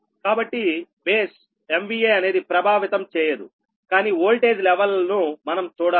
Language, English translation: Telugu, so base m v a we will not affect, but voltage will level